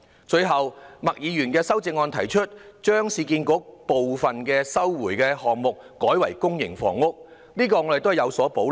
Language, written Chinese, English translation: Cantonese, 最後，麥議員的修正案提出將市區重建局部分收回的土地改為發展公營房屋，我們對此亦有所保留。, Lastly Ms MAKs amendment proposes converting some of the sites resumed by the Urban Renewal Authority URA for the development of public housing . We also have reservations about this